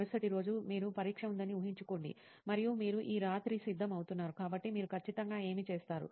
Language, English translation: Telugu, Imagine you have an exam the next day and you are going to prepare this night, so what will you be exactly doing